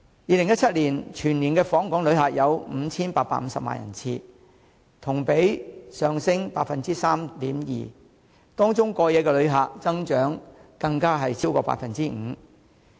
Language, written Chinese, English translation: Cantonese, 2017年全年訪港旅客有 5,850 萬人次，同比上升 3.2%， 當中過夜旅客增長更超過 5%。, In 2017 Hong Kong recorded a total of 58.5 million visitor arrivals an increase of 3.2 % over the previous year and the number of overnight visitors was even up by more than 5 %